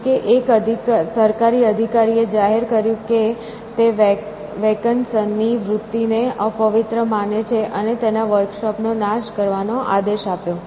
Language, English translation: Gujarati, However, one government official declared that he thought Vaucanson's tendencies as profane, and ordered his workshop to be destroyed essentially